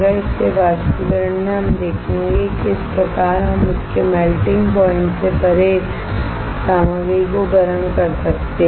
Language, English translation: Hindi, So, in evaporation we will see how we can heat the material beyond its melting point